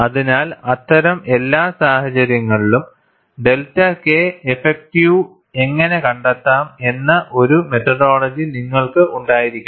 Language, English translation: Malayalam, So, in all those cases, you should have a methodology, how to find out delta K effective